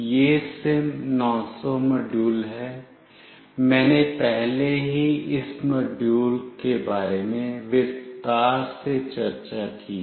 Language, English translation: Hindi, This is SIM900 module, I will have already discussed in detail regarding this module